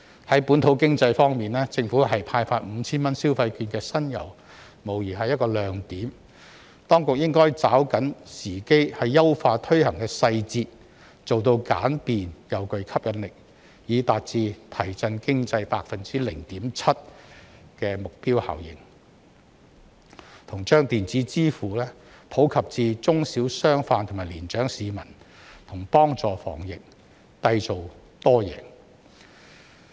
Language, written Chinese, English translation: Cantonese, 在本土經濟方面，政府派發 5,000 元消費券的新猷，無疑是一個亮點，當局應該抓緊時機優化推行細節，做到簡便及具吸引力，以達致提振經濟 0.7% 的目標效應，以及把電子支付普及至中小商販及年長市民和幫助防疫，締造多贏。, As regards the local economy the Governments initiative of issuing consumption vouchers with a total value of 5,000 is undoubtedly a bright spot . The authorities should grasp the opportunity to enhance the implementation details and make them simple and attractive so as to achieve the target effect of boosting the economy by 0.7 % . Besides the use of electronic payment should also be promoted among small and medium - sized business owners and elderly citizens which will also help to fight against the epidemic and create an all - win situation